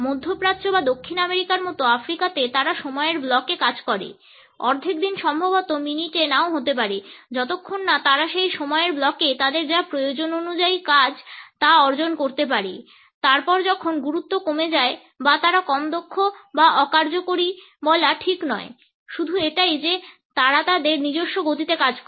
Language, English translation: Bengali, In Africa like in the middle east or South America there they work in blocks of time, half a day maybe certainly not in minutes as long as they can achieve what they need in that block of time, then exactly when is less importance that is not to say that they are less efficient or effective its just that they work at their own pace